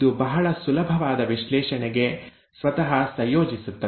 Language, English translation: Kannada, It blends itself to very easy analysis